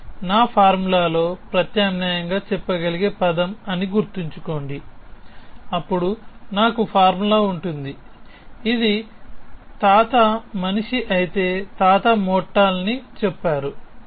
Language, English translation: Telugu, That is a term remember that is also a term I could have substituted this in my formula, then I would have formula which says if grandfather is the man, then grandfather is mortal